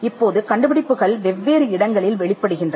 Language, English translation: Tamil, Now, invention manifest in different places